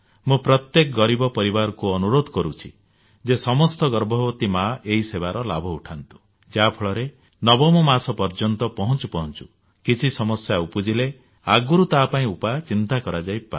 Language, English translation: Odia, I urge all poor families to ensure that all pregnant women avail of this benefit on the 9th of every month, so that if by the time they reach the 9th month any complication arises, it can be dealt with suitably in time and the lives of both mother and child can be saved